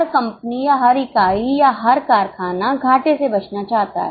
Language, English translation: Hindi, Every company or every unit or every factory wants to avoid losses